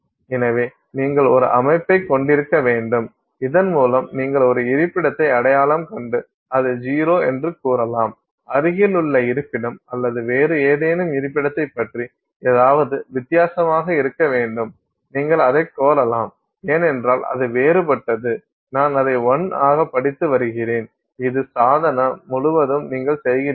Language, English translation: Tamil, So, uh, you have to have a system by which you can identify a location and claim that it is zero and then something should be different about the adjacent location or some other location and you can claim that because it is different, I'm reading that as a one and this you do throughout the the device